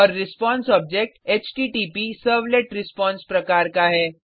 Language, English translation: Hindi, And response object is of type HttpServletResponse